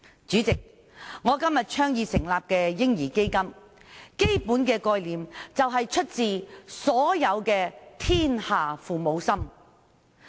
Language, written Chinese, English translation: Cantonese, 主席，我倡議成立的"嬰兒基金"，基本概念是出自"天下父母心"。, President the basic concept of the baby fund advocated by me originated from the hearts of parents